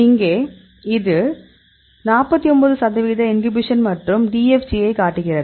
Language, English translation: Tamil, So, here this is showing 49 percent inhibition and prefers DFG out conformation